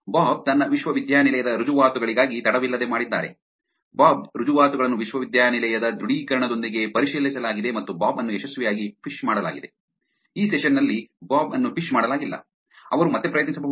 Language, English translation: Kannada, Bob has prompted for his university credentials, bobs credentials are verified with the university's authenticator and bob is successfully phished, bob is not phished in this session, he could try again all right